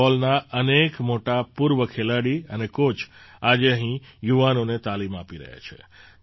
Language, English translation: Gujarati, Today, many noted former football players and coaches are imparting training to the youth here